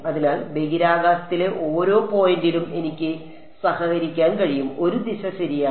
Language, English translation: Malayalam, So, I am able to associate at each point in space, a direction ok